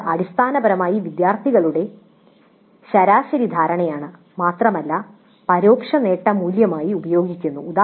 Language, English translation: Malayalam, This is essentially average perception of students and that is used as the indirect attainment value